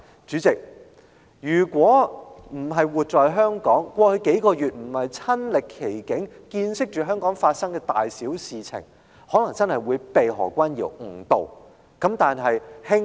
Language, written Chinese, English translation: Cantonese, 主席，如果不是活在香港，過去數個月沒有親歷其境，見識香港發生的大小事情，我恐怕真的會被何君堯議員誤導。, President I am afraid those outside Hong Kong who have not personally experienced or witnessed any incidents of various scales in Hong Kong over the past few months will really be misled by Dr Junius HO